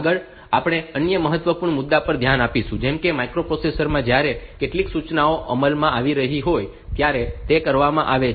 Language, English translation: Gujarati, Next, we will look into another important issue like the sequence of operations that are done in the microprocessor when some instructions are being executed